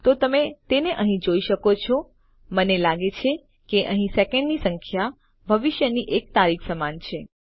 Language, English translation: Gujarati, So you can see it here I think the number of seconds in here equates to a date in the future